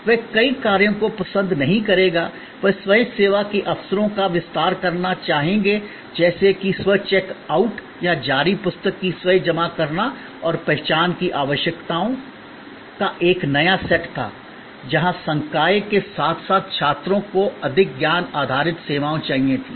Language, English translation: Hindi, They would not like multiple operations, they would like to expand the opportunities for self service like self check out or self depositing of issued books and there was a new set of requirements identified, where faculty as well as students wanted more knowledge based services